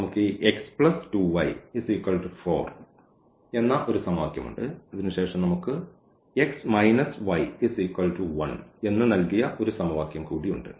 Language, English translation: Malayalam, So, we have this x plus 2 y is equal to 4 one equation and then we have one more equation that is given by x minus y is equal to 1